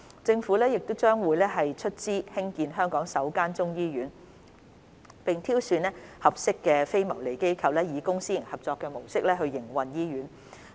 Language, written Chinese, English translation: Cantonese, 政府將會出資興建香港首間中醫醫院，並挑選合適的非牟利機構以公私營合作模式營運醫院。, The construction of Hong Kongs first Chinese Medicine Hospital CMH will be funded by the Government with a non - profit - making organization to be selected to operate the hospital on the basis of a public - private partnership model